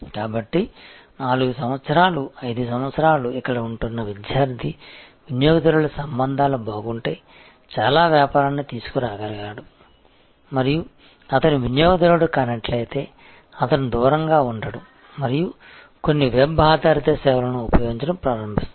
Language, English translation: Telugu, So, a student customer who is staying here for 4 years, 5 years can bring in a lot of business if the relationship is good and he is not the customer, he is not going away and start using some web based service